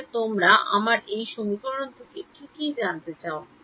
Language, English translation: Bengali, What all do you need to know from this equation